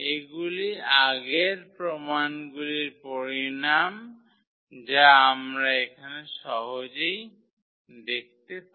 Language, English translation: Bengali, So, these are the consequence of the earlier proof which we can easily see here